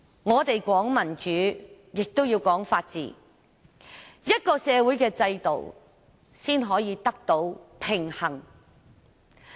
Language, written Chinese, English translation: Cantonese, 我們說民主，亦要說法治，這樣社會的制度才能得到平衡。, When we talk about democracy we must also talk about the rule of law so that a balance can be struck among the social institutions